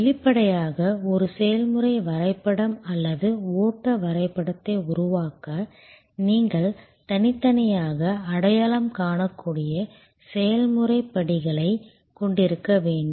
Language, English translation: Tamil, Obviously, to create a process map or a flow diagram, you have to have discretely identifiable process steps